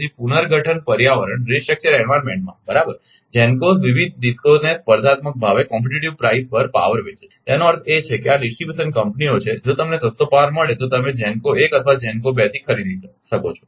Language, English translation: Gujarati, So, in the restructured environment right GENCOs sell power to the various DISCOs at competitive prices; that means, these are the distribution companies, if you get cheapest power you can buy from GENCO 1 or GENCO 2